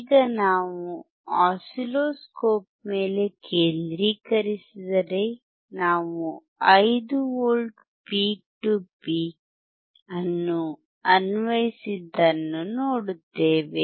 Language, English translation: Kannada, Now if we concentrate on the oscilloscope what we see is, we have applied, 5 V peak to peak